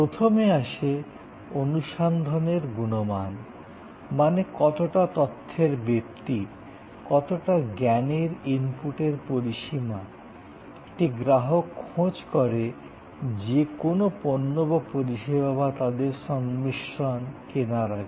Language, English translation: Bengali, And we have called them search quality; that is what the range of information, the range of knowledge input, the customer will look for before the purchase of a product or service or combination, experience quality